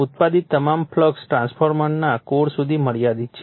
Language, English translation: Gujarati, All the flux produced is confined to the core of the transformer